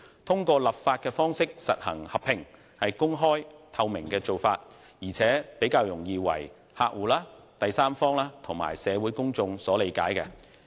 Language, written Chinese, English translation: Cantonese, 通過立法的方式實行合併，是公開及具透明度的做法，而且比較容易為客戶、第三方及社會公眾所理解。, The enactment of legislation to effecting the merger is a highly open and transparent means which will be more easily acceptable to customers third parties and the community at large